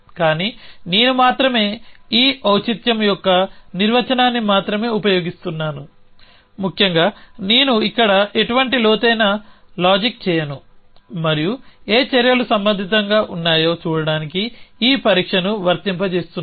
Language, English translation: Telugu, But only I am use I am only using this definition of relevancy essentially I am not any deep reasoning here and just applying this test to see what actions are relevant